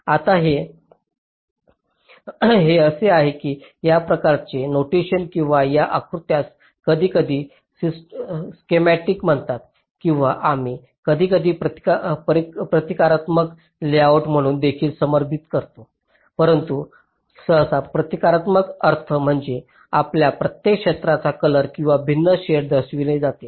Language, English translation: Marathi, now, this is, ah, this kind of a notation or this kind of a diagram is sometimes called as schematic, or we also sometimes refer to as a symbolic layout, but usually symbolic means each of our regions are represented by either a color or different shade